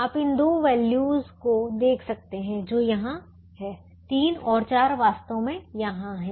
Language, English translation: Hindi, you can see these two values that are here, three and four are actually here